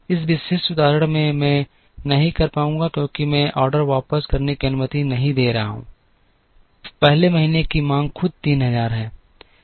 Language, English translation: Hindi, In this particular example I would not be able to, because I am not allowing back ordering, the 1st month’s demand itself is 3000